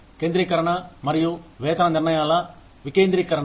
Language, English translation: Telugu, Centralization versus decentralization of pay decisions